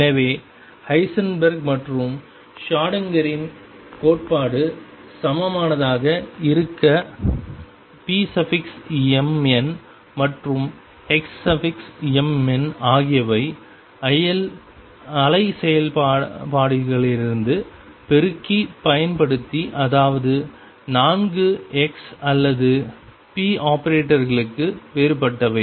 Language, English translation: Tamil, So, to have equivalence of Heisenberg’s and Schrödinger’s theory p m n and x m n are defined from the wave functions using multiplicative that is four x or differential for p operators